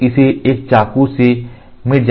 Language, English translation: Hindi, So, this has to be nullified by a knife